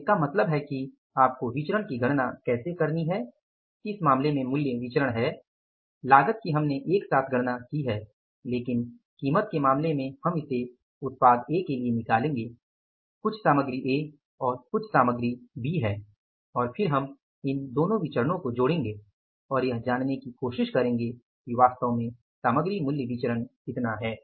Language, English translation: Hindi, So, it means how you have to calculate the variances price variances in this case cost we calculated together right but in case of price we will be calculating it for the product A that is the material A and the material B and then we will club these two variances and try to find out what is exactly the material price variance